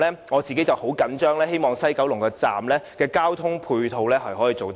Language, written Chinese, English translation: Cantonese, 我對此十分緊張，希望西九龍站的交通配套可以做得更好。, I am quite concerned about that and hope that the ancillary transport facilities in the vicinity of the Station will be better planned